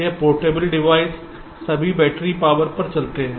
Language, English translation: Hindi, this portable devices all run on battery power